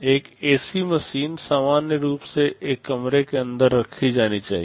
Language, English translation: Hindi, An AC machine is supposed to be housed inside a room normally